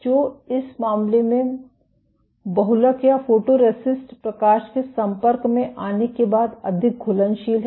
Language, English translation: Hindi, So, in this case the polymer or the photoresist is more soluble after light exposure